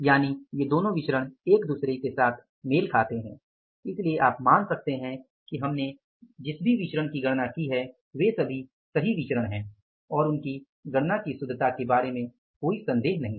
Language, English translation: Hindi, So, both these variances are telling with each other so you can assume that whatever the variances we have calculated they are correct variances and there is no doubt about the correctness of calculating the variances